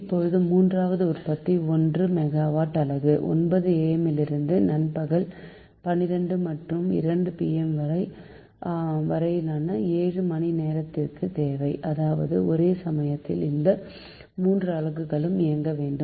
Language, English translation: Tamil, but if you see third generating unit, one megawatt, nine am to twelve noon and two pm to six pm, seven hours, required, that means it is overlapping